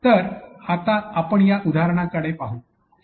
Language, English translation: Marathi, So, now let us look onto this example